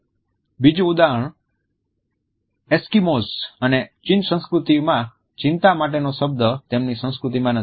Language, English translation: Gujarati, Another example is that Eskimos and the Chinese do not have a word their culture for anxiety